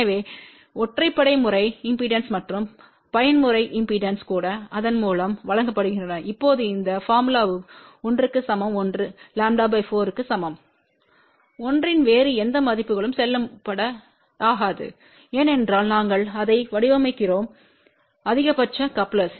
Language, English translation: Tamil, So, odd mode impedance and even mode impedances are given by this now this formula is valid for l equal to lambda by 4 not valid for any other value of l ok , because we had designing it for maximum coupling